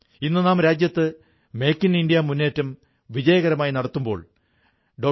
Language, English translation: Malayalam, Today, the campaign of Make in India is progressing successfully in consonance with Dr